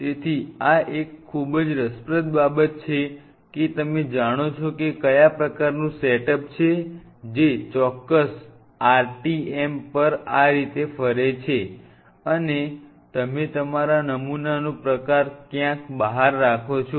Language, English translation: Gujarati, So, this is a very interesting thing which kind of you know it is a setup which rotates like this at a particular RTM, and you have your sample kind of kept somewhere out here